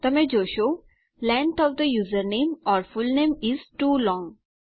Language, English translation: Gujarati, You can see that Length of the username or fullname is too long.